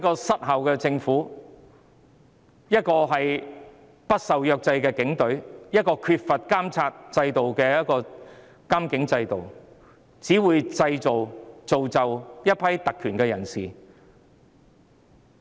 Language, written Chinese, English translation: Cantonese, 失效的政府、不受制約的警隊及缺乏監察的監警制度，只會造就一批特權人士。, An ineffective government an unrestrained police force and a police monitoring system which lacks monitoring will only give rise to a bunch of people with privileges